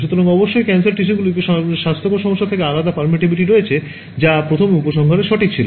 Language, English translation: Bengali, So, of course, cancerous tissue has different permittivity from healthy issue that was the first conclusion right